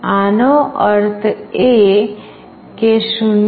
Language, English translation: Gujarati, This means, for 0